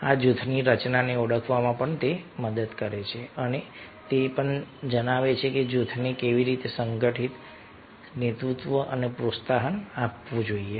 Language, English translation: Gujarati, this helps to recognize the formation of the group and also tells how the group should be organized, lead and promoted